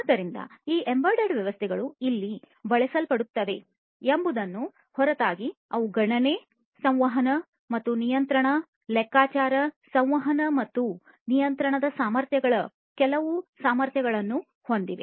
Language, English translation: Kannada, So, these embedded systems irrespective of where they are used, they possess certain capabilities of computation, communication and control, compute, communicate and control capabilities